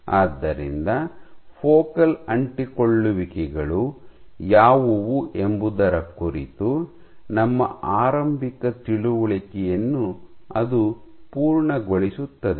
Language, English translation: Kannada, So, that completes our initial understanding of what focal adhesions are